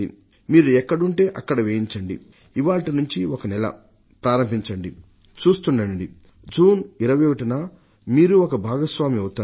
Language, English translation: Telugu, Start it from now, one month in advance and you will be a participating partner on 21st June